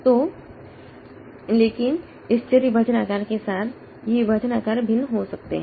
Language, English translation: Hindi, So, but with this variable partition size, so this partition size can vary